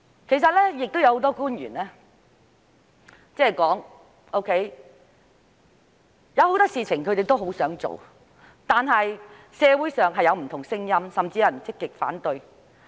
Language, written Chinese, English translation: Cantonese, 其實，多位官員曾表示有很多事情他們也想做，但社會上有不同聲音，甚至有人積極反對。, In fact a number of government officials have said that there are many things they would like to do yet there are divergent views in the community and some people even actively oppose them